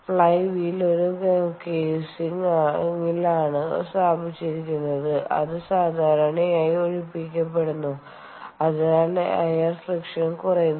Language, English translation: Malayalam, the flywheel is housed in a casing which is typically evacuated so that air friction is minimized